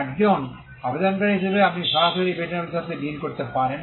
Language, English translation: Bengali, As an applicant, you can directly deal with the patent office